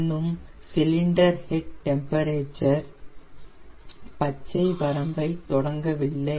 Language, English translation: Tamil, now i am waiting for my cylinder head temperature to come in the green range